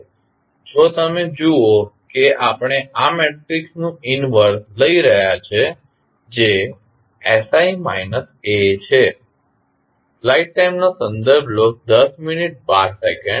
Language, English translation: Gujarati, Now, if you see we are taking the inverse of this matrix that is sI minus A